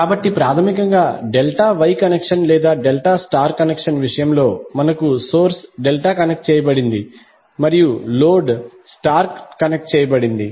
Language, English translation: Telugu, So basically, in case of Delta Wye connection or Delta Star connection, we have source delta connected and the load star connected